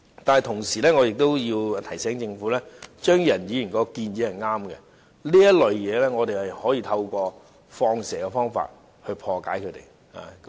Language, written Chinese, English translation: Cantonese, 但同時，我要提醒政府，張宇人議員的建議是對的，我們可以透過"放蛇"來破解這種情況。, Moreover I wish to remind the Government that Mr Tommy CHEUNGs proposal is correct . We can combat this problem by covert operation